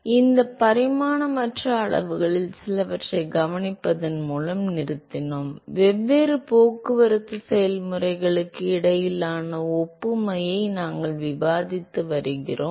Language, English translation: Tamil, So, we stopped by observing some of these dimensionless quantities; we have been discussing the analogy between different transport processes